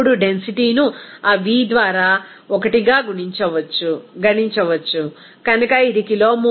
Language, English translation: Telugu, Then density can be calculated 1 by that v, so it will be coming as 1 by 24